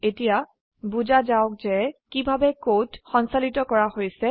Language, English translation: Assamese, now Let us understand how the code is executed